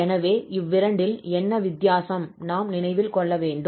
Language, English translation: Tamil, So what is the difference basically in two which we have to keep in mind